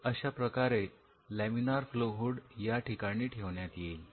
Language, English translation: Marathi, So, you have laminar flow hood sitting here